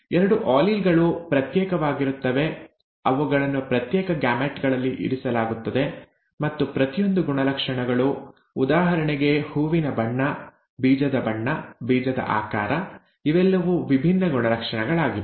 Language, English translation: Kannada, The two alleles separate, they are placed in separate gametes; and each character, for example flower colour, seed colour, seed shape, these are all different characters